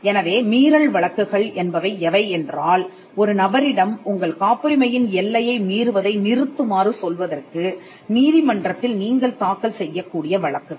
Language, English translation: Tamil, So, infringement suits are the are cases filed before the court where you ask a person to stop infringing your patent